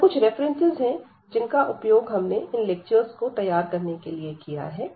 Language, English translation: Hindi, So, these are the references which were used to prepare these lectures